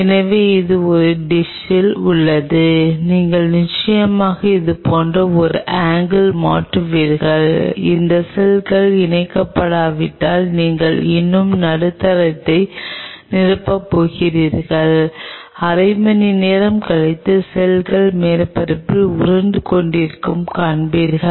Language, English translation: Tamil, So, this is on a dish and you just change the angle to something like this just of course, you are going to still fill the medium if these cells are not attaching you will see the cells will be rolling on the surface after half an hour